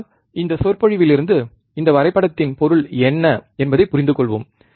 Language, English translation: Tamil, But let us understand from this lecture, what this graph means